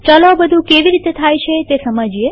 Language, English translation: Gujarati, Let us understand how all this can be done